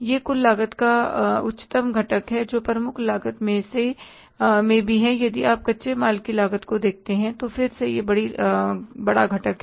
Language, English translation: Hindi, And in the prime cost also, if you look at the cost of raw material, that is again the biggest component